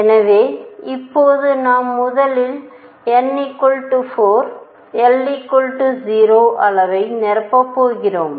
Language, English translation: Tamil, So, let us see now we are going to now first fill n equals 4 l equals 0 level